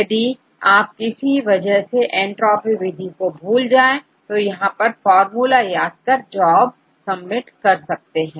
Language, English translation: Hindi, In case you have forgotten what is each method entropy method, you can learn the formulas here, let us submit the job